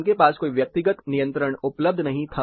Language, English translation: Hindi, They didnt have any personalized controls available